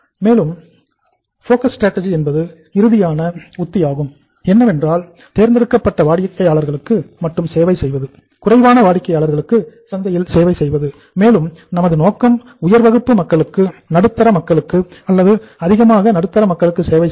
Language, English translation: Tamil, And last strategy is the focus strategy means we are only serving the selective customers, limited customers in the market and in that case we are focused upon high class people, upper middle class people or maximum middle class people